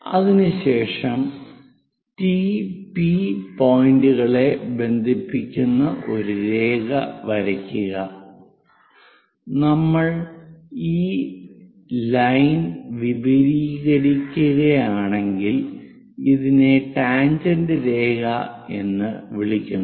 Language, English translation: Malayalam, After that draw a line connecting from point T all the way to P; if we are extending this line, this is what we call tangent line